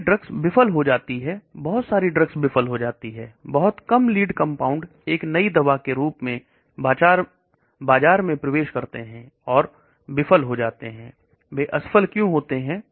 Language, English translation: Hindi, So drugs fail, lot of drugs fail very little lead compounds get converted as a new drug enters market lot of drugs fail , why do they fail